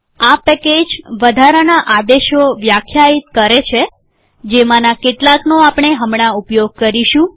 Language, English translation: Gujarati, This package defines extra commands, some of which, we will use now